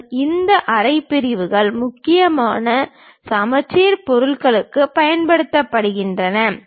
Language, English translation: Tamil, And, these half sections are used mainly for symmetric objects